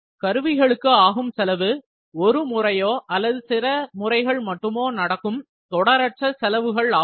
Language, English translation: Tamil, Tooling costs are non recurring costs associated with activities that occur only once or only a few times